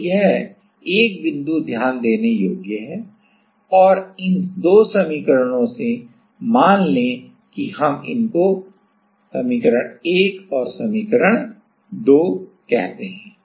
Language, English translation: Hindi, So, this is 1point to note and from these 2 equation, let us say we call it 1 and 2